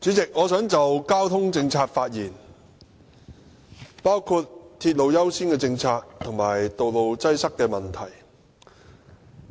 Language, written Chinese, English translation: Cantonese, 主席，我想就交通政策發言，包括鐵路優先政策和道路擠塞問題。, President I would like to talk about transport policy including the policy according priority to railway development and the issue of traffic congestion